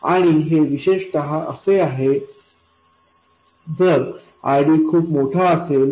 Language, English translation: Marathi, And this is especially so if RD is very large